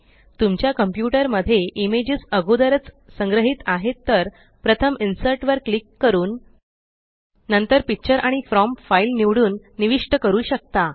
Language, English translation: Marathi, If an image is already stored on your computer, you can insert it by first clicking on Insert and then Picture and selecting From File